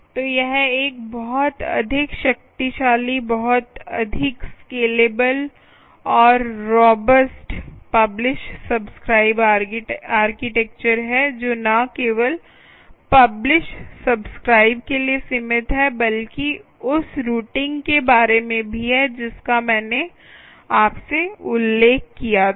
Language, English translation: Hindi, so its a much more powerful, much more scalable and robust publish subscribe architecture, not just limited to publish subscribe, but also about routing, which i mentioned to you, right